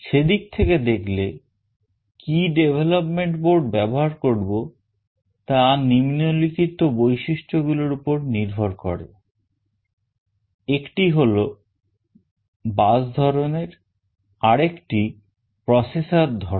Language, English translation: Bengali, In that regard which development board to use is based on the following features; one is the bus type another is the processor type